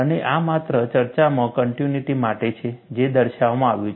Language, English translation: Gujarati, And this is just for continuity in discussion, this is shown